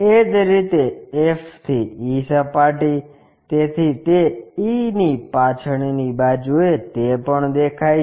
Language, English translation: Gujarati, Similarly, f to e surface, so f back side of that e is there that is also visible